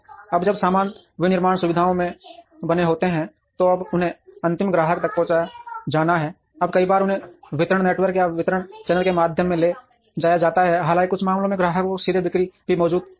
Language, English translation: Hindi, Now, when the goods are made in the manufacturing facilities, now they have to be transported to the end customer now many times they are transported through a distribution network or a distribution channel though in some instances direct sales to customers also exist